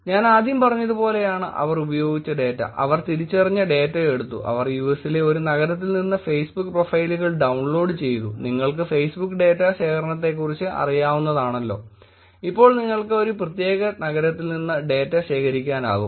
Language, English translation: Malayalam, The data that they used was first as I said; they took the identified data, they downloaded the Facebook profiles from one city in the US which is possible in the way that you know about Facebook data collection now you could actually collect data from a particular city